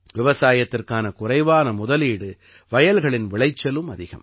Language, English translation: Tamil, The cost of cultivation is also low, and the yield in the fields is also high